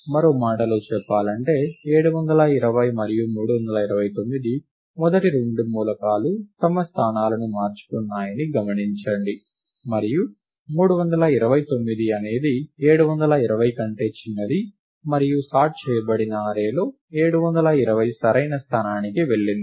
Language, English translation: Telugu, In other words, 720 and 329 – the first two elements observe that – they have exchanged their places; and 329 is smaller than 720; and 720 has gone to its correct location in the sorted array